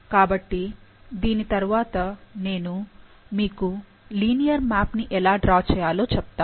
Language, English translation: Telugu, So, next I will tell you about, how to draw a linear map